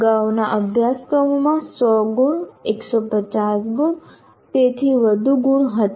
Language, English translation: Gujarati, The courses earlier were characterized by the marks like 100 marks, 150 marks and so on